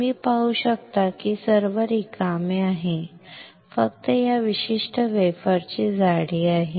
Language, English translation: Marathi, You can see this is all empty, only thickness is of this particular wafer